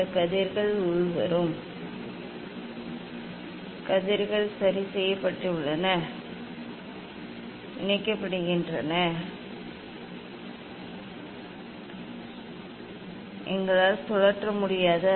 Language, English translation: Tamil, these rays incoming rays are fixed, we cannot rotate